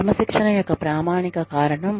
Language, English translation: Telugu, Basic standards of discipline